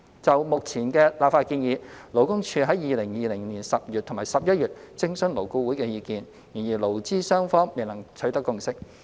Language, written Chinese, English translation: Cantonese, 就目前的立法建議，勞工處曾於2020年10月及11月徵詢勞顧會的意見，但勞資雙方未能取得共識。, On the current legislative proposal the Labour Department consulted LAB in October and November 2020 respectively but no consensus could be reached